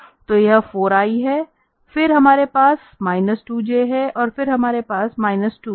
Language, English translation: Hindi, So, that is 4 i, then we have minus 2 j and then we have here the minus 2 k